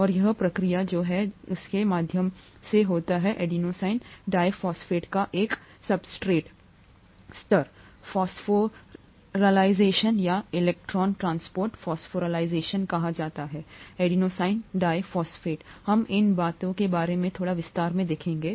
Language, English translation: Hindi, And this process happens through what is called a substrate level phosphorylation of ADP or an electron transport phosphorylation of ADP, we will look at a little bit in detail about these things